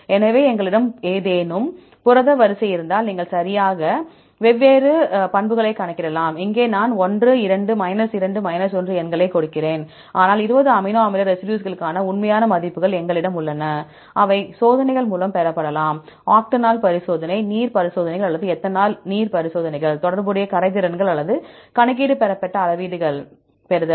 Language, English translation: Tamil, So, if we have any protein sequences right you can calculate different properties; here I give the numbers 1, 2, 2, 1, but we have the actual values for the 20 amino acid residues, which can be obtained by experiments, either a octanol experiment, water experiments, or the ethanol/water experiments by getting the relative solubilities, or computation derived scales